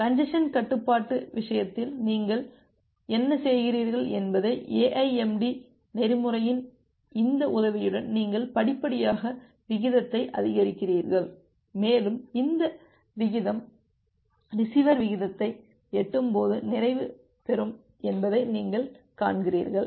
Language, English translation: Tamil, And with this help of the AIMD protocol what you do in case of congestion control, you gradually increase the rate and you see that this rate will gets saturate when it will reach at the receiver rate